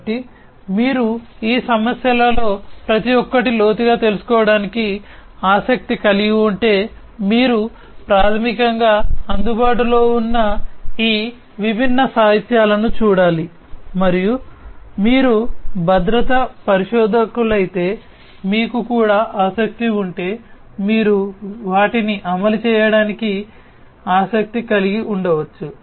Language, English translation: Telugu, So, if you are indeed interested to deep to drill deep down into each of these issues you have to basically go through these different literatures that are available and if you are also interested if you are a security researcher you might be interested to implement them